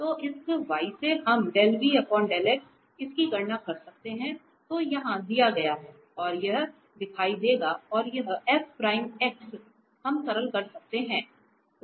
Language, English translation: Hindi, So, from this v we can compute this del v over del x which is which is given here and this f prime x will appear and this we can just simplify